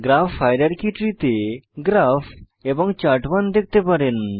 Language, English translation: Bengali, In the Graph hierarchy tree, you can see Graph and Chart1